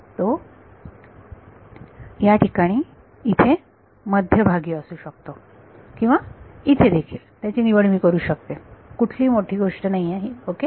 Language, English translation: Marathi, It can it will at the middle over here or I can also choose it over here that is not the matter ok